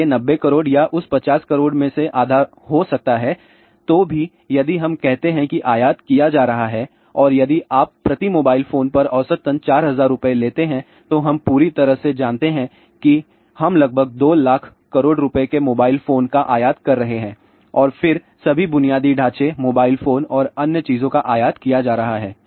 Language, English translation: Hindi, So, 90 or may be half of that 50 even if we say which are being imported and if you take an average price of 4000 rupees per mobile phone we are totally you know we are importing about 2 lakh rupees worth of mobile phone and then all the infrastructure mobile phones and other thing are being imported